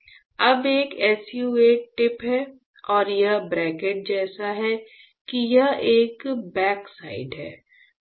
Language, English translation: Hindi, Now, there is a SU 8 tip and this; this cantilever is such that this is a back side